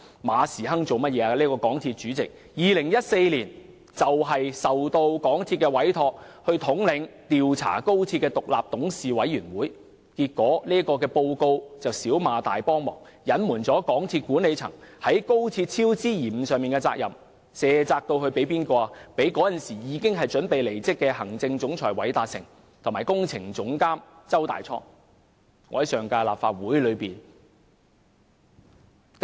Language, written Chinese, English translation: Cantonese, 港鐵公司主席馬時亨在2014年獲港鐵公司委任統領調查高鐵工程的獨立董事委員會，結果調查報告"小罵大幫忙"，隱瞞港鐵公司管理層在高鐵工程超支延誤上的責任，卸責至當時已準備離職的行政總裁韋達誠和工程總監周大滄身上。, In 2014 Frederick MA now Chairman of MTRCL was appointed by MTRCL to lead the inquiry by an independent board committee into the XRL project . The investigation report of the committee as it turned out did MTRCL a huge favour by making mild criticisms covering up the responsibility of the management of MTRCL for the cost overruns and delays in the XRL project and shifting the blame onto Chief Executive Officer Jay WALDER and Projects Director CHEW Tai - chong who were about to leave their jobs back then